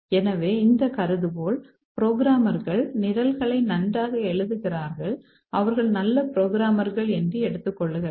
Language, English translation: Tamil, So, this hypothesis says that programmers write programs well, they're good programmers, but occasionally they make small programming errors